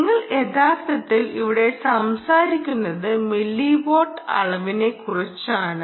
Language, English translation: Malayalam, you are actually talking of milliwatts of power here